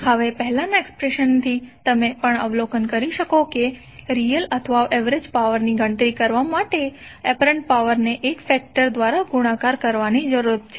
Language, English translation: Gujarati, Now from the previous expression you can also observe that apparent power needs to be multiplied by a factor to compute the real or average power